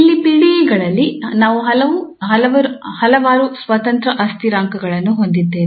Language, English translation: Kannada, So, here in PDE's, we have several independent variables